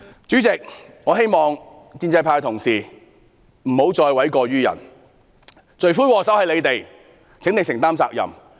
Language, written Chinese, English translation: Cantonese, 主席，我希望建制派同事不要諉過於人，罪魁禍首就是他們，請他們承擔責任。, President I hope Members of the pro - establishment camp do not put the blame on others . They are the culprits